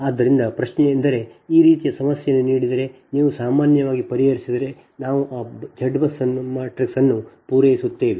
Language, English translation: Kannada, so question is that for this kind of problem, if it is given, i mean if you solve, generally we supply that z bus matrix